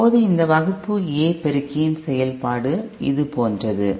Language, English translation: Tamil, Now the operation of this Class A amplifier is like this